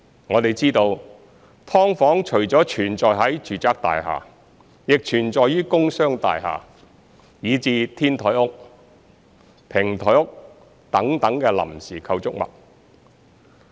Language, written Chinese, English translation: Cantonese, 我們知道，"劏房"除了存在於住宅大廈，亦存在於工商大廈，以至"天台屋"、"平台屋"等臨時構築物。, As we know subdivided units exist not only in residential buildings but also in commercial and industrial buildings as well as temporary structures such as rooftop huts and podium huts